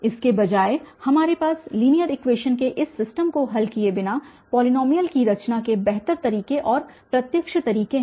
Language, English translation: Hindi, Rather we have a better ways and direct ways of constructing the polynomial without solving such a system of linear equations